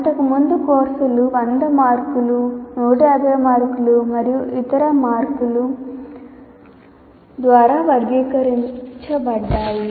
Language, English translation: Telugu, The courses earlier were characterized by the marks like 100 marks, 150 marks and so on